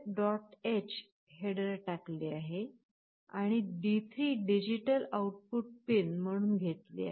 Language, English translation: Marathi, h header, and D3 we have declared as a digital out pin